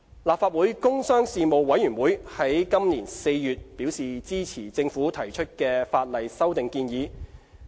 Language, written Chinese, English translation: Cantonese, 立法會工商事務委員會在本年4月表示支持政府提出的法例修訂建議。, The Panel on Commerce and Industry of the Legislative Council indicated in April its support to the Governments proposed legislative amendments